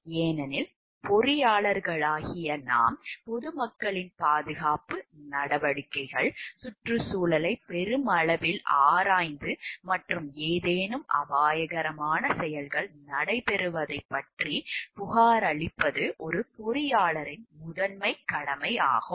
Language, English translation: Tamil, Because we know as the engineers the primary duty of an engineer is to look into the safety measures of the public at large, the environment at large and to report about any hazardous activities taking place